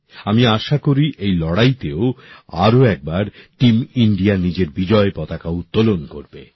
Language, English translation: Bengali, I hope that once again Team India will keep the flag flying high in this fight